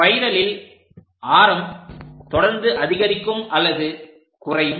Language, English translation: Tamil, In spirals, the radius is continuously increasing or decreasing